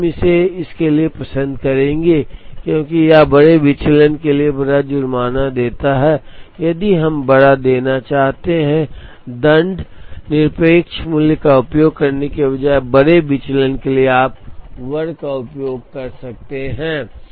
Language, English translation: Hindi, So, we would prefer this to this, because this gives larger penalty for larger deviation, so if we want to give larger penalty, for larger deviation instead of using the absolute value, you could use the square